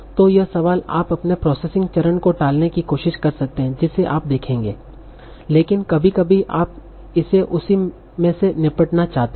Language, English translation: Hindi, So this question you might also try to defer to the next processing step that we will see but sometimes you might want to tackle this in the same step